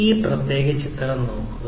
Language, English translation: Malayalam, So, look at this particular picture